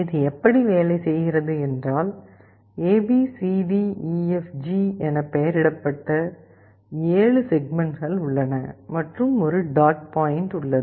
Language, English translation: Tamil, This is how it looks like, there are 7 segments that are numbered A B C D E F G and there is a dot point